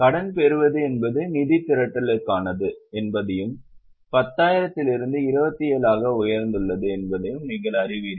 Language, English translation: Tamil, You know that debenture is for raising of funds and from 10,000 it has increased to 27